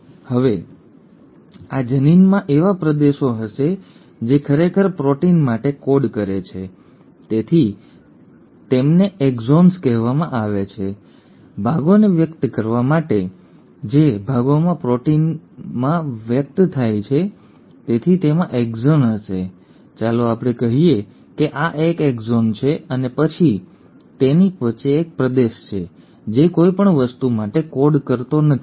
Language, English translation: Gujarati, Now this gene will have regions which actually code for a protein so they are called the “exons”; E for expressing parts, the parts which get expressed into proteins; so it will have exons, let us say this is exon 1 and then, in between it has a region which does not code for anything